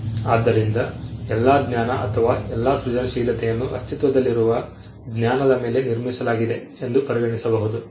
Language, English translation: Kannada, So, all of knowledge or all of creativity can be regarded as building on existing knowledge